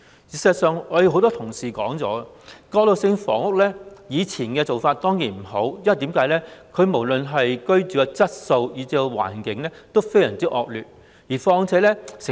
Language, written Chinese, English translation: Cantonese, 事實上，很多同事提到，以前的過渡性房屋的確不好，無論是居住質素或環境都非常惡劣。, In fact a lot of our colleagues have already said that transitional housing in the past was really too bad no matter in terms of living quality or environment